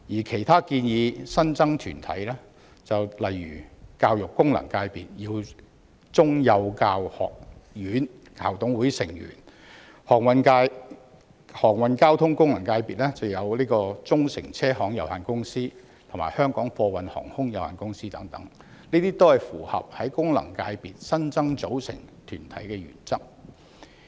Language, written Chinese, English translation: Cantonese, 其他建議新增團體，例如教育界功能界別的耀中幼教學院校董會成員，航運交通界功能界別的忠誠車行有限公司及香港貨運航空有限公司等，均符合在功能界別新增組成團體的原則。, Regarding other organizations proposed to be added such as Members of Board of Governors of Yew Chung College of Early Childhood Education in the Education FC and Chung Shing Taxi Limited and Hong Kong Air Cargo Carrier Limited in the Transport FC they all comply with the principle of adding new listed organizations to FCs